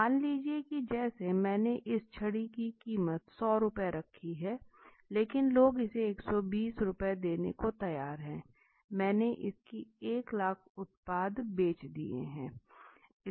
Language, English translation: Hindi, Suppose let us say as I said in my first class suppose I have priced at this stick at 100Rs but people are ready to pay 120 Rs and I have sold 1 lakh product of it 1 lakh pieces of it